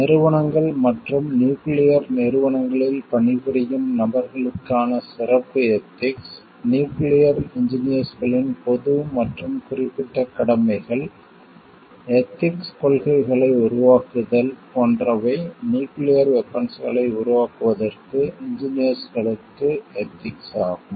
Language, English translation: Tamil, Special code of ethics for organizations as well as people working in nuclear agencies, general and specific duties of nuclear engineers, formation of ethical policies, is it ethical for engineers to develop nuclear weapons